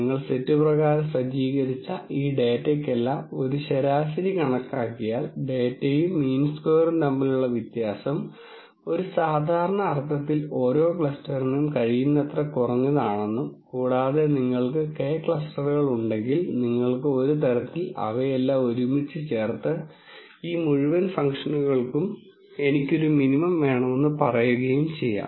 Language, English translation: Malayalam, You take set by set and then make sure that if you calculate a mean for all of this data, the difference between the data and the mean square in a norm sense is as minimum as possible for each cluster and if you have K clusters you kind of sum all of them together and then say I want a minimum for this whole function